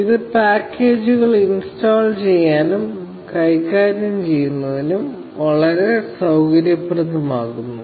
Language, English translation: Malayalam, This makes installing and managing packages extremely convenient